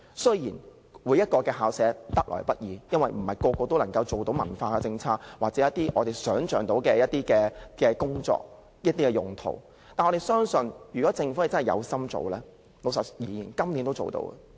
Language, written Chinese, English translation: Cantonese, 雖然每間校舍也得來不易，因為不是每間都適合用作文化用途或我們想象到的工作，但我們相信，如果政府有心做，老實說，今年也可以做得到。, Although it is difficult to secure a school premise since every school premise can be used for cultural purposes or serve the function we think fit we believe that the Government can accomplish this within this year if it is determined to do so